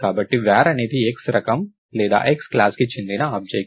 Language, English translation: Telugu, So, var is an object of the type X or the class X